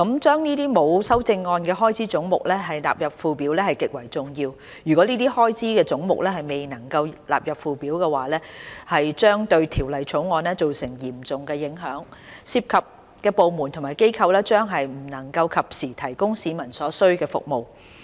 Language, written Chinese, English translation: Cantonese, 將這些沒有修正案的開支總目納入附表極為重要，如果這些開支總目未能納入附表，將對《2019年撥款條例草案》造成嚴重影響，涉及的部門和機構將不能及時為市民提供所需要的服務。, The importance of the sums of these heads with no amendment standing part of the Schedule cannot be overstated . Failure to have the sums of these heads stand part of the Schedule would cause serious impacts on the Appropriation Bill 2019 the Bill rendering the departments and organizations concerned unable to provide the necessary services to the public